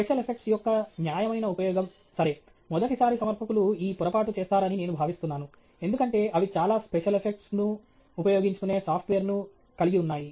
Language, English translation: Telugu, Judicious use of special effects okay; something that I want to touch upon because I think first time presenters make this mistake, they put in… much of the software that we have enables us to use a lot of special effects